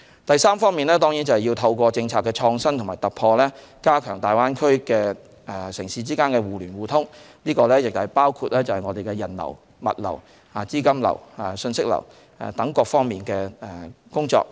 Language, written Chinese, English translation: Cantonese, 第三方面是透過政策的創新與突破，加強大灣區城市之間的互聯互通，包括人流、物流、資金流和信息流等各方面的工作。, Concerning the third key area of work through policy innovation and breakthrough we strengthen interconnectivity amongst cities in the Greater Bay Area including the work on enhancing the flow of people goods capital and information